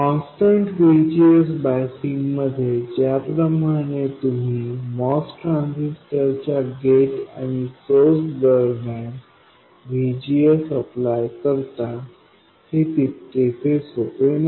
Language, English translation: Marathi, It is not as simple as constant VGS biasing where you simply apply VGS across the gate and source terminals of the MOS transistor